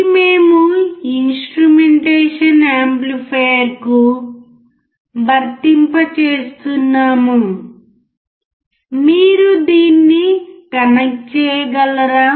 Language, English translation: Telugu, This is we are applying to the instrumentation amplifier at the input, can you please connect it